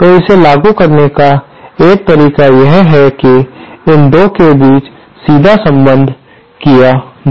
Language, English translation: Hindi, So, one way of implementing it is just this, direct connection between the 2